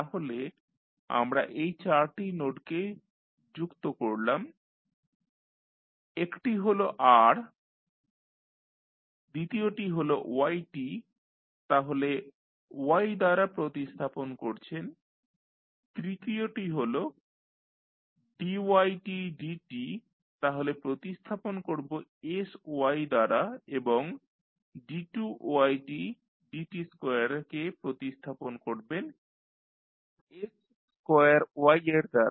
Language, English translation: Bengali, So, we have added these four nodes one is r, second is yt so you will replace with y, third is dy by dt so will replace with sy and d2y by dt2 you will replace with s square y